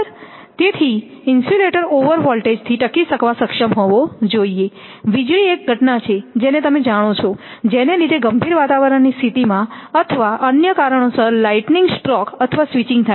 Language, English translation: Gujarati, So, the insulator should be able to withstand over voltages; due to lightning stroke that lightning is a phenomenon you know right due and switching or other causes under severe weather conditions